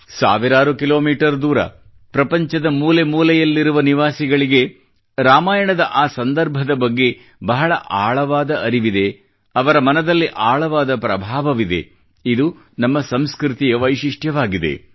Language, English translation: Kannada, People residing thousands of kilometers away in remote corners of the world are deeply aware of that context in Ramayan; they are intensely influenced by it